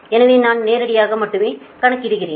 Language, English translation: Tamil, so i have only computed directly, right